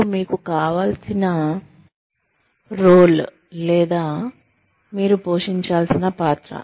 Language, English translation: Telugu, And the role, you would need to, or you would ought to play